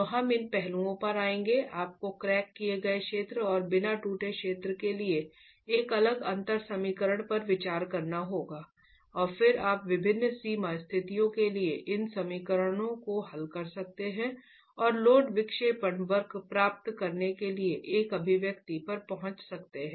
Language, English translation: Hindi, You will have to have, you will have to consider a different differential equation for the crack zone and the uncracked zone and then you could solve these equations for different boundary conditions and arrive at an expression to get your load deflection curves